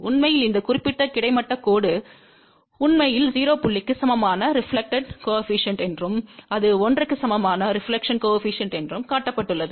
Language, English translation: Tamil, In fact, this particular horizontal line which is shown that actually is a reflection coefficient equal to 0 point and this is a reflection coefficient equal to 1